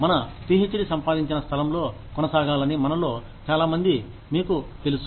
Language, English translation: Telugu, Many of us, you know, would like to continue in the place, where we earned our PhD